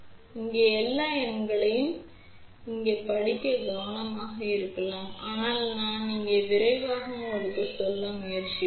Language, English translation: Tamil, Now, it may be little difficult to read all the numbers over here, but I will just try to tell you quickly here